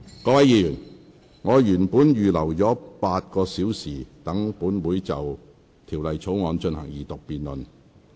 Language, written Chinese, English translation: Cantonese, 各位議員，我原本預留了8個小時，讓本會就《條例草案》進行二讀辯論。, Members I have originally reserved eight hours for the Council to carry out a debate on the Second Reading of the Bill